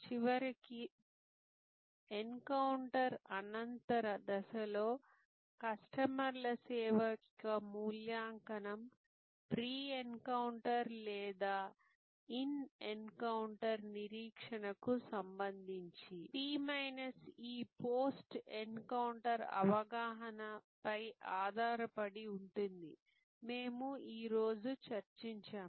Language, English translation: Telugu, And finally, we have discussed today that in the post encounter stage, we have to understand that the customers evaluation of service will be based on P minus E post encounter perception with respect to pre encounter or in encounter expectation